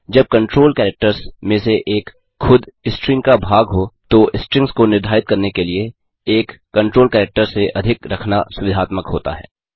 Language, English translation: Hindi, Having more than one control character to define strings is handy when one of the control characters itself is part of the string